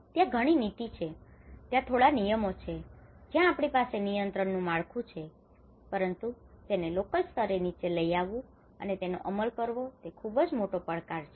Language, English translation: Gujarati, There are policy, there are certain rules and regulations where we have a regulatory framework, but challenges in implementing and take it down at a local level is one of the biggest challenge